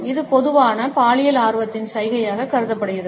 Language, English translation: Tamil, It is commonly perceived as a gesture of sexual interest